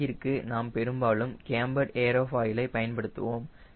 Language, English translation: Tamil, for wing, we use mostly cambered aerofoil